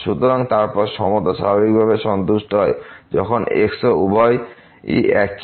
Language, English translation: Bengali, So, then in equality is naturally satisfied when and both are same